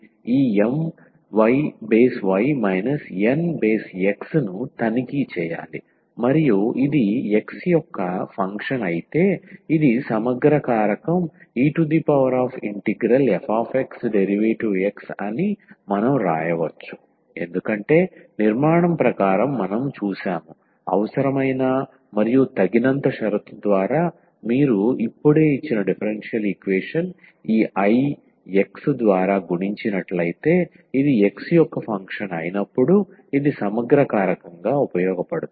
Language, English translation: Telugu, We have to check this M y minus nx over and if this is a function of x alone, then we can write down that this will be the integrating factor e power integral f x dx because as per the construction we have seen through the necessary and sufficient condition that this I will now if you multiply the given differential equation by this I x in this case when this is a function of x only, then this will be serving as the integrating factor